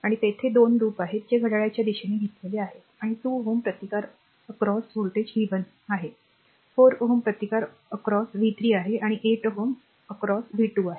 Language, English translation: Marathi, And 2 loops are there, that taken in a clockwise direction and across 2 ohm resistance the voltage is v 1, across 4 ohm it is v 3, across 8 ohm it is v 2